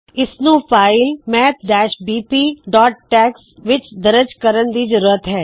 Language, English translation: Punjabi, We need to include it in the file maths bp.tex